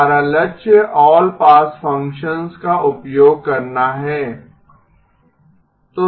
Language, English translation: Hindi, Our goal is to use all pass functions